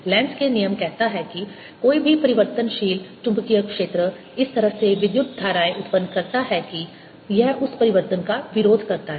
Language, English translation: Hindi, lenz's law says that any changing magnetic field produces currents in such a manner that it opposes that change